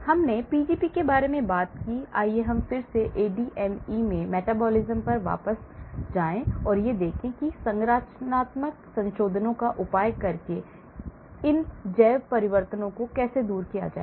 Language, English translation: Hindi, So, we talked about Pgp, let us again go back to the metabolisms in the ADME and let us look at how to overcome these bio transformations using structural modifications